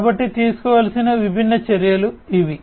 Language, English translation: Telugu, So, these are the different measures that could be taken